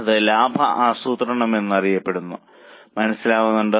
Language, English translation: Malayalam, That is also known as profit planning